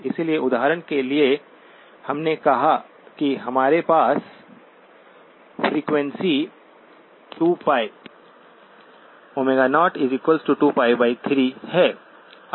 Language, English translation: Hindi, So for example, we said that we had a frequency 2pi, omega 0 equals 2pi by 3